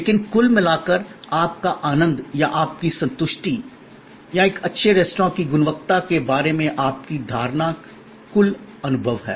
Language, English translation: Hindi, But, on the whole, your enjoyment or your satisfaction or your perception of quality of a good restaurant is the total experience